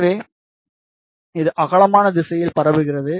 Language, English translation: Tamil, So, this is radiating in the broadside direction